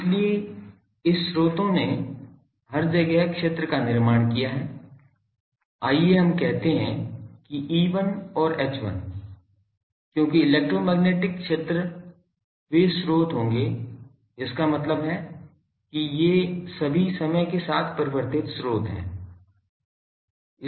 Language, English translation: Hindi, So, this sources has produced fields everywhere let us say E1 and H1, because electromagnetic field they will sources mean these are all time varying sources